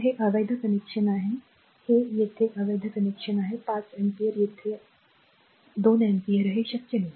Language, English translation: Marathi, So, this is invalid connection this is invalid connection here it is invalid 5 ampere here it is 2 ampere it is not possible